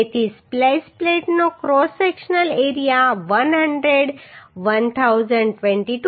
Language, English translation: Gujarati, So cross sectional area of the splice plate is 100 1022